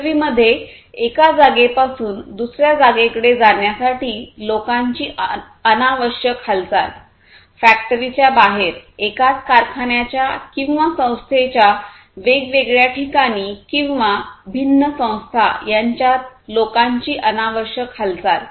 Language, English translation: Marathi, Unnecessary movement of people from one point to another within the factory, outside the factory, across different locations of the same factory or organization, or between different organizations as the case may be